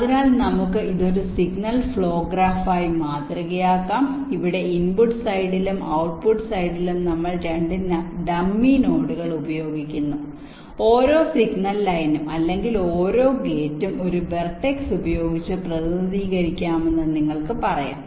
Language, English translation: Malayalam, so we can model this as a signal flow graph where we use two dummy notes in the input side and the output side, and every, you can say every signal line or every gate can be represented by a verdicts